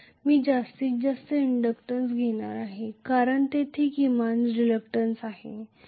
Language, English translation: Marathi, I am going to have maximum inductance because minimum reluctance will be there